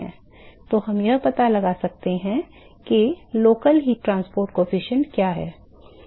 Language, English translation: Hindi, So, we can find out what is the local heat transport coefficient